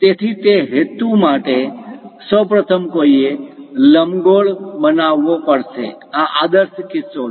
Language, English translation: Gujarati, So, for that purpose, first of all, one has to construct an ellipse, this is the idealistic case